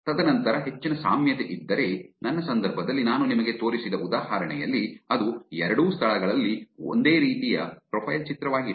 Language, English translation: Kannada, And then high similarity, if there is a, in my case, in the example that I showed you, it's exact the same picture, profile picture on both the places